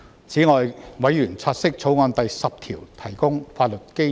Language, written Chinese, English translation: Cantonese, 此外，委員察悉《條例草案》第10條提供法律基礎。, Furthermore members note that clause 10 of the Bill provides the legal basis